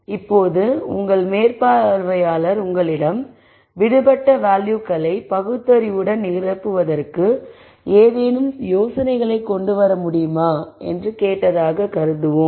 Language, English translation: Tamil, Now let us assume your supervisor has asked you if you can come up with any ideas that can be employed to rationally fill the missing values